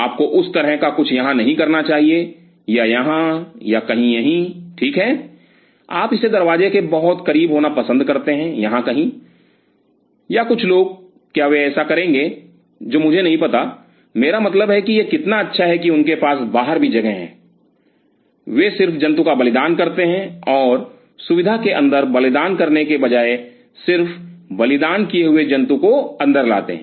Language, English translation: Hindi, You should not have something of that kind out here or out here or somewhere out here right you prefer to the have this very close to the door somewhere out here, or some people would they do which I do not know I mean how good it is they even have something outside they just sacrifice the animal and just bring the sacrifice animal inside instead of doing the sacrifice inside the facility